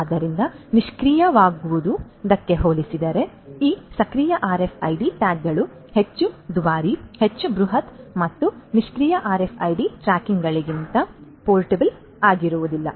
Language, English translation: Kannada, So, these active RFID tags compared to the passive ones are much more expensive, much more bulky and are not as much portable as the passive RFID tags